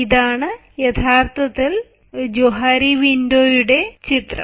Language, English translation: Malayalam, now this is actually, ah, the image of johari window